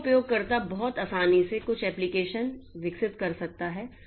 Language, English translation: Hindi, So, user can very easily develop some application